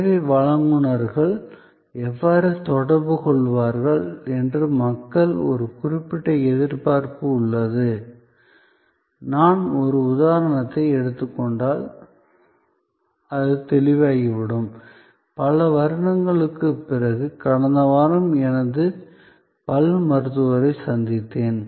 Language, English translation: Tamil, So, people have a certain expectation that how the service providers will interact, it will become clearer if I just take an example, which happen to be in last week, after many years I wanted to visit my dentist